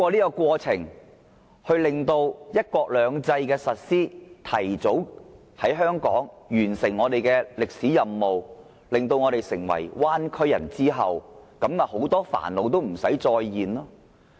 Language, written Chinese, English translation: Cantonese, 是否通過"一地兩檢"的實施，使香港提早完成其歷史任務，使我們變成了"灣區人"，到時很多煩惱也不會再出現？, Will all troubles be gone by making Hong Kong fulfil its historic mission in advance through the implementation of the co - location arrangement and turning Hong Kong people into citizens of the Bay Area?